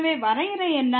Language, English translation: Tamil, So, what was the definition